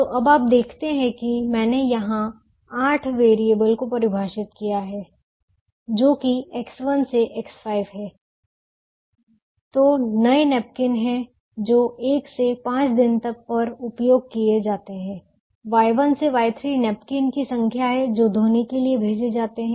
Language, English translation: Hindi, the eight variables, which are x one to x five, which are the new napkins that i are used on days one, two, five, y one to y three, are the number of the napkins that are send to the laundry